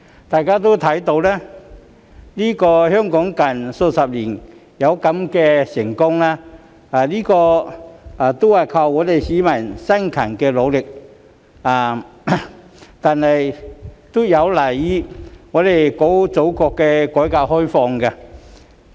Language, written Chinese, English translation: Cantonese, 大家都看到，香港近數十年之所以這麼成功，不但有賴市民的辛勤努力，亦有賴祖國的改革開放。, As everybody can see the tremendous success of Hong Kong over the past few decades is attributable to not only the hard work of its people but also the reform and opening up of our Motherland